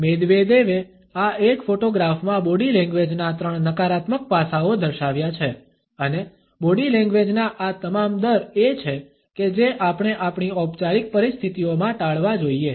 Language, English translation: Gujarati, Medvedev has indicated three negative aspects of body language in this single photograph and all these rates of body language are the ones we should be avoided in our formal situations